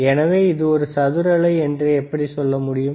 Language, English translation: Tamil, So, how you can say it is a square wave or not